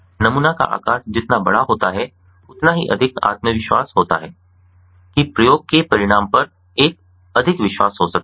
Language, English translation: Hindi, the larger the sample size is, the more confident one can be on the result of the experiment